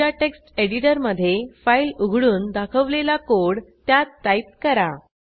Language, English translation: Marathi, Open a file in your text editor and type the following piece of code as shown